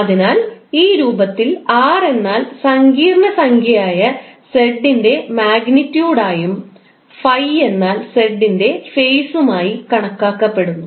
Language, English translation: Malayalam, So in this form r is considered to be the magnitude of z and phi is the phase of the complex number z